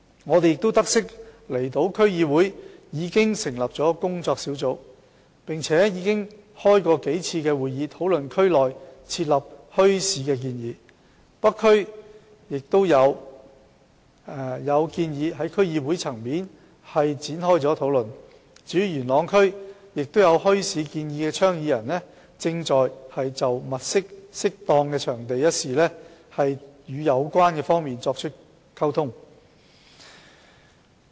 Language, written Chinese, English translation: Cantonese, 我們亦得悉，離島區議會已成立工作小組，並舉行數次會議，討論在區內設立墟市的建議；北區區議會亦討論了在區內舉辦墟市的建議；至於元朗區，亦有設立墟市的倡議者正就物色適當場地一事與有關方面溝通。, We also note that a working group has been set up by the Islands DC and a number of meetings have been held to discuss the proposal for setting up bazaars . As for the North DC it has discussed the proposal for setting up bazaars in the district . For Yuen Long District advocators of bazaars are communicating with the parties concerned about identifying suitable sites